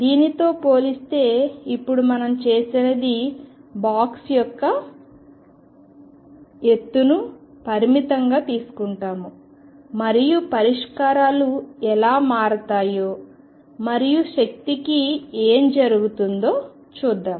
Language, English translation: Telugu, Compared to this now what we have done is taken the height of the box to be finite and let us see how the solutions change and what happens to the energy